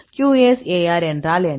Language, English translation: Tamil, What is QSAR